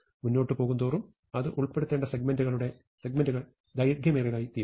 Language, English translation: Malayalam, As I go along, the segment we have to insert it in, becomes longer and longer